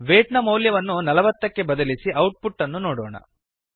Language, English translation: Kannada, Let us change the weight to 40 and see the output